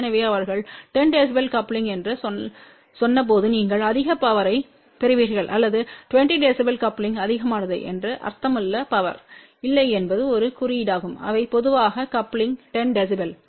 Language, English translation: Tamil, So, when they said 10 db coupling that does not mean that you will get more power or 20 db coupling means more power no that is just a notation they generally use that coupling is 10 db